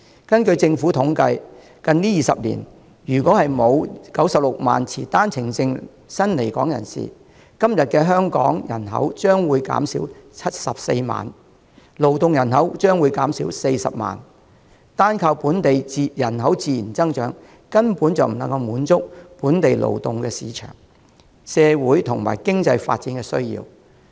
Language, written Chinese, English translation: Cantonese, 根據政府統計，近20年如果沒有96萬持單程證的新來港人士，今天的香港人口將會減少74萬，勞動人口將會減少40萬，單靠本地人口自然增長根本不能滿足本地勞動市場，以及社會、經濟發展的需要。, According to government statistics Hong Kong today should have lost 740 000 people in population and 400 000 people in labour force if not for the 960 000 OWP holding new arrivals coming to Hong Kong in the last 20 years . Natural growth in local population alone definitely cannot meet the demand of the local labour market and the needs arising from social and economic growth